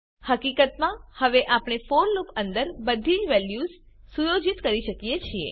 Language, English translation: Gujarati, In fact now we can set all the values inside the for loop